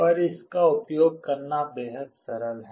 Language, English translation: Hindi, But to use it is extremely simple